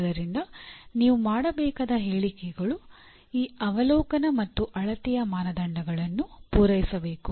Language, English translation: Kannada, So the statements that you have to make should satisfy this criteria of observability and measurability